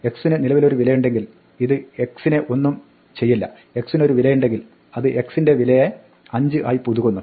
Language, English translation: Malayalam, If x already has a value this will do nothing to x, if x does not have a value then it will update the value of x to 5